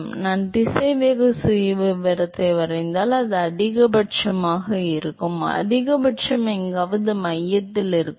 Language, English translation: Tamil, So, if I draw the velocity profile it will be maximum, the maximum will be somewhere at the centre